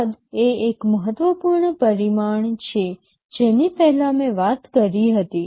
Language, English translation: Gujarati, Size is an important parameter I talked earlier